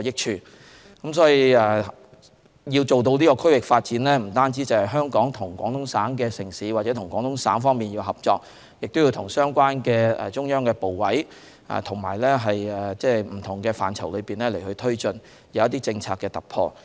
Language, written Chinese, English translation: Cantonese, 所以，要做到區域發展，香港不但要和廣東省城市或廣東省合作，亦要與相關的中央部委在不同範疇推進政策的突破。, Therefore in order to attain the goal of regional development in addition to cooperating with the cities in Guangdong Province or with Guangdong Province Hong Kong also needs to seek policy breakthrough in different areas together with the related ministries and committees of the Central Authorities